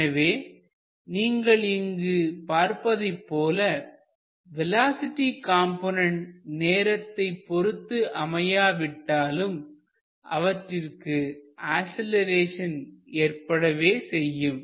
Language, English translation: Tamil, So, you can clearly see that although the velocity components are not functions of time, still you get an acceleration